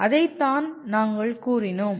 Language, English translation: Tamil, That is what we stated